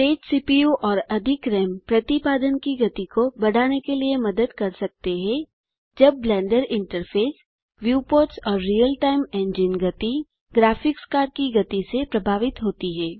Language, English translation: Hindi, A faster CPU and more RAM can help to increase rendering speed, while the speed of the Blender interface, viewports and real time engine is influenced by the speed of the graphics card